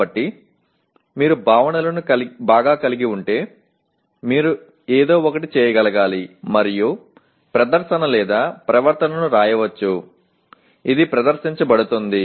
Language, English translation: Telugu, So if you have the concepts well, you should be able to perform something and that performing or the behavior should be written which can be demonstrated